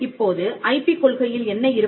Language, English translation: Tamil, Now, what will an IP policy contain